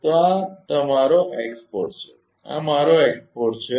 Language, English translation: Gujarati, So, this is my x 4 this is my x 4